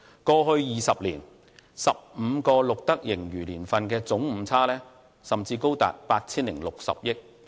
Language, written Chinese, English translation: Cantonese, 過去20年 ，15 個錄得盈餘年份的總誤差甚至高達 8,060 億元。, In the past 20 years the Government has recorded a surplus in 15 financial years and a total inaccuracy of 806 billion